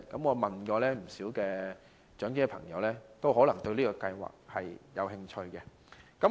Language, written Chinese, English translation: Cantonese, 我問過不少長者朋友，他們對此計劃也感興趣。, I have asked many elderly friends and they are interested in this scheme